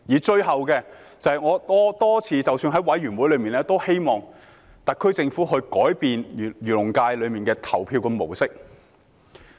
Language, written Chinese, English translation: Cantonese, 最後，正如我多次在委員會上提出，我希望特區政府可以改變漁農界的投票模式。, This is the second point I wish to make today . Lastly as I have said repeatedly in the Bills Committee I hope the SAR Government can change the voting method for the Agriculture and Fisheries FC